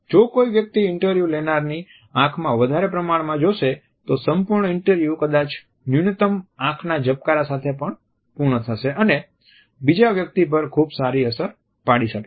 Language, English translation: Gujarati, If somebody stares deeply into the interviewers eyes, the entire interview may end up with minimal blinking and creating a very strength impression on the other person